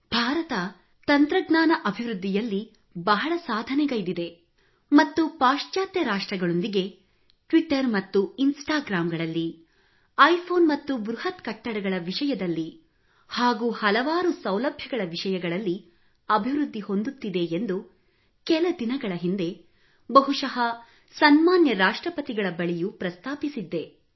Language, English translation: Kannada, I was mentioning I think to Hon'ble President a few days ago that India has come up so much in technical advancement and following the west very well with Twitter and Instagram and iPhones and Big buildings and so much facility but I know that, that's not the real glory of India